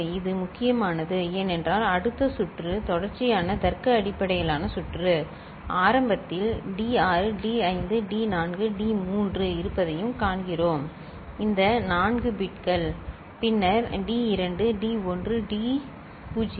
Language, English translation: Tamil, This is important because in next circuit, sequential logic based circuit, we also see that initially, D6 D5 D4 D3 are there these 4 bits, then D2 D1 D naught are there